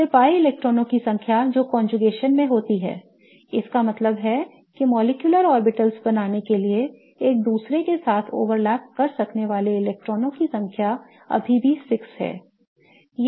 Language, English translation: Hindi, Then the number of pi electrons that are in conjugation, that means the number of electrons that can overlap with each other to form the molecular orbitals is still six